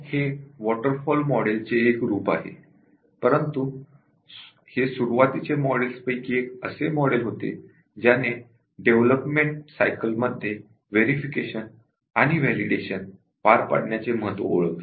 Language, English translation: Marathi, It is a variant of the waterfall model, but then to as one of the early models to recognize the importance of carrying out verification and validation though out development cycle